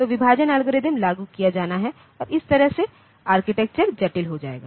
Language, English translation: Hindi, So, the division algorithm has to be implemented and that way the architecture will become complex